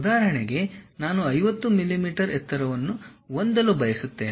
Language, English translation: Kannada, For example, I would like to have a height of 50 millimeters